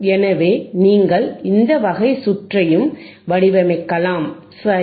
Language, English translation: Tamil, So, you can also design this kind of circuit, right